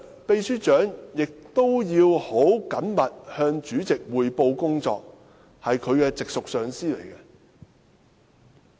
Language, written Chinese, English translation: Cantonese, 秘書長日常要很緊密地向主席匯報工作，主席是其直屬上司。, The Secretary General reports closely to the President who is his immediate supervisor